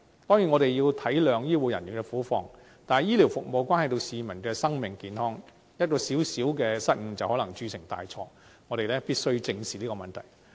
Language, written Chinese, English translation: Cantonese, 當然，我們要體諒醫護人員的苦況，但醫療服務關係到市民的生命健康，一個小失誤就能鑄成大錯，我們必須正視這個問題。, Certainly we have to appreciate the plight of the healthcare personnel . However healthcare services have a bearing on the lives and health of the public and a small failure can make a major blunder . We must therefore address this issue squarely